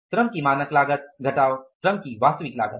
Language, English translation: Hindi, Standard cost of labor minus actual cost of labor